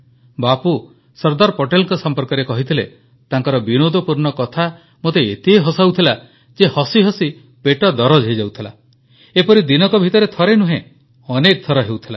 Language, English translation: Odia, Bapu had said that the jestful banter of Sardar Patel made him laugh so much that he would get cramps in the stomach